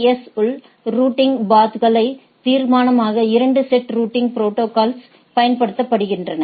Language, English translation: Tamil, So, 2 sets of routing protocols are used to determine the routing paths within the AS